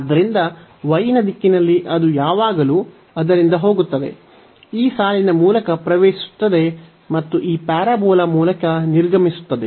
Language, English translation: Kannada, So, in the direction of y it always goes from it enters through this line and exit through this parabola so; that means, this y and then dx